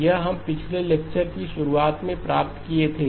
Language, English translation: Hindi, This we derived in the beginning of the last lecture